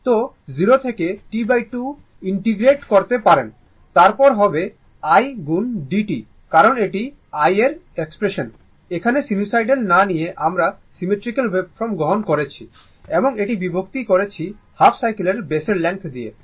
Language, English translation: Bengali, So, you can integrate 0 to T by 2, then i into d t because this is a this is the expression for i, this is a some instead of taking sinusoidal some symmetrical waveform I have taken and this divided by your length of the base of the half cycle